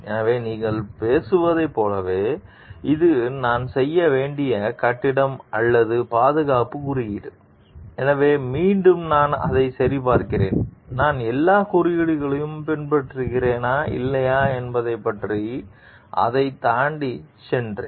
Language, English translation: Tamil, So, like you are talking this is the building or safety code required me to do, so again did I am verifying it, go beyond it to see like whether I have followed all the codes or not